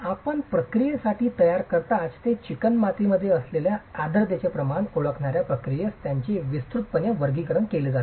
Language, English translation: Marathi, They are broadly classified into processes which recognize the amount of moisture present in the clay itself as you prepare it for the firing process